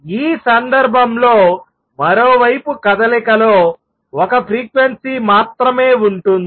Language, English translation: Telugu, On the other hand in this case the motion contains only one frequency